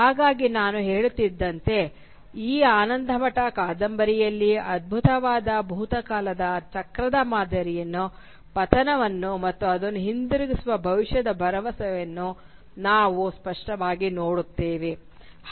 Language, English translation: Kannada, So as I was saying, it is in this novel Anandamath, that we most clearly encounter the cyclical pattern of a glorious past, a fall from it, and a future promise of reverting back to it